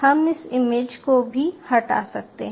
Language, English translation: Hindi, ah, we may delete this image